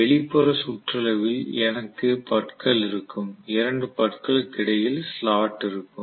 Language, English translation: Tamil, So all over the outer periphery I will have teeth and in between the two teeth is the slot basically